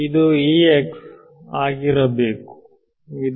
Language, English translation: Kannada, that is what is